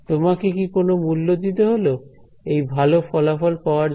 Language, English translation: Bengali, What was, did you have to pay a price for getting this very good a result